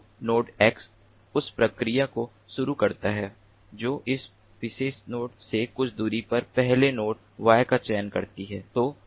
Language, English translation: Hindi, so node x starts the process, it selects the first node, y, at a distance, some distance from this particular node